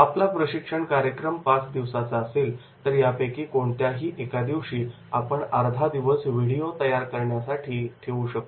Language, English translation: Marathi, If our training program that is of the five days, then it will be wonderful idea that is the half day on one of the days you can keep for the video making